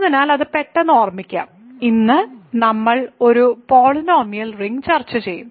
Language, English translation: Malayalam, So, let us quickly recall that, then today we will discuss that we make it a polynomial ring ok